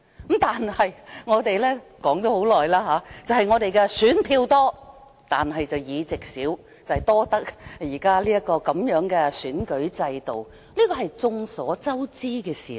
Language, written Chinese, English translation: Cantonese, 不過，我們很久前已指出，雖然我們選票多，但擁有的議席少，這是現時的選舉制度所致，這也是眾所周知的事實。, They are elected by the people through one person one vote . However as we have pointed out a long time ago we have won many votes but very few seats due to the present election system . This is a fact that everyone knows